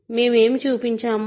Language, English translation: Telugu, What did we show